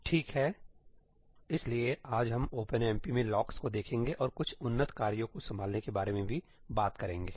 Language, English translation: Hindi, Okay, so, today, we will look at locks in OpenMP and also talk about some advanced tasks handling